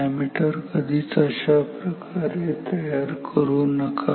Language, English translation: Marathi, Never make an ammeter like this